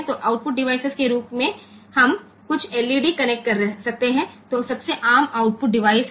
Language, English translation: Hindi, So, output device we can connect some LED which is the most common output device